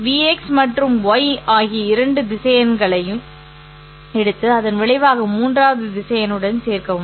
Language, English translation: Tamil, You take two vectors x and y and then add the resultant to the third vector